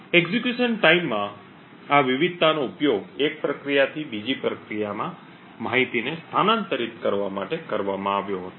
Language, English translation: Gujarati, This variation in execution time was used to actually transfer information from one process to another